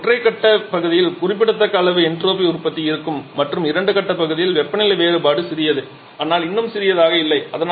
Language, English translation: Tamil, So, here there will be significant amount of entropy generation in the single phase part and in the toughest part the temperature difference is small but still not that small as well